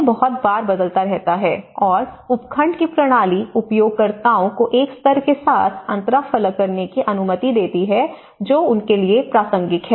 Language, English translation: Hindi, So, this keeps changing very frequently and the system of subdivision allows users to interface with a level that is relevant to them